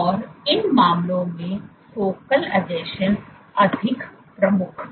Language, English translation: Hindi, And in these cases, focal adhesions were more prominent